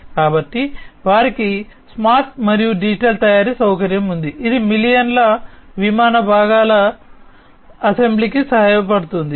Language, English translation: Telugu, So, they have the smart and digital manufacturing facility, which helps in the assembly of millions of aircraft parts